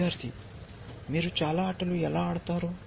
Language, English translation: Telugu, ) How do you play many games